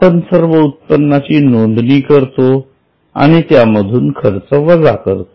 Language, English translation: Marathi, We will note income and we will reduce the expense from the same